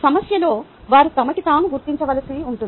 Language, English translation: Telugu, ah, in the problem they will have to figure it out themselves